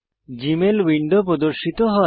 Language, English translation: Bengali, The Gmail Mail window appears